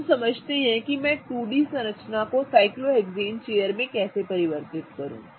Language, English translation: Hindi, Now let us understand how do I convert a 2D structure into a cyclohexane chair